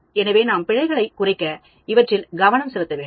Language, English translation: Tamil, So, we need to focus on them to reduce errors